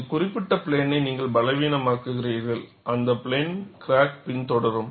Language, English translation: Tamil, And you make this particular plane weak, the crack will follow that plane